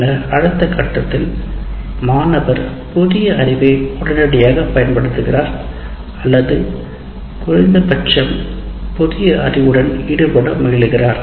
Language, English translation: Tamil, And then what you do in the next stage, the student directly applies the new knowledge immediately or at least gets engaged with the new knowledge